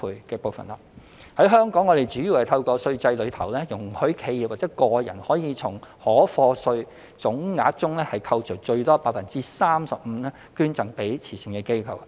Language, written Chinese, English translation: Cantonese, 在香港，我們主要透過稅制中，容許企業或個人可從應課稅總額中扣除最多 35%， 捐贈給慈善機構。, In our case this is made possible mainly through allowing the deduction of up to 35 % of the total taxable income of a corporation or an individual for charitable donations under the current tax system